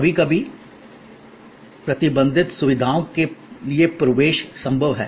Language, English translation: Hindi, Sometimes, there are admission possible to restricted facilities